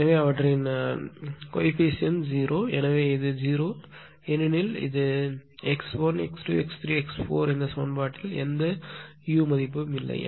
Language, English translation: Tamil, So, their coefficients are 0 ; so, it is 0 0 right because x 1, x 2, x 3, x 4 no u term is your involved in this equation